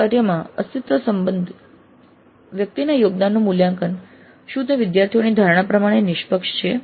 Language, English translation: Gujarati, So the evaluation of an individual's contribution in the group work whether it is impartial in the perception of the students